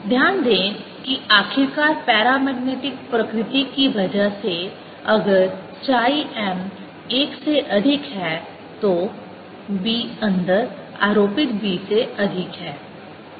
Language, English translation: Hindi, notice that, finally, because of the paramagnetic nature, if chi m is greater than one, b inside is greater than b applied